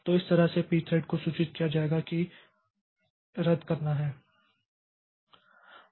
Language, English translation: Hindi, So, that way this P thread will be informed that there is a cancellation